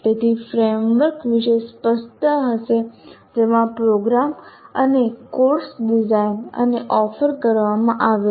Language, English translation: Gujarati, So there is clarity about the framework in which a program and a course is designed and offered